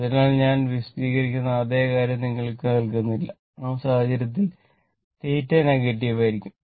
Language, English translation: Malayalam, So, in that case not giving you the same thing I explaining; in that case, theta will be negative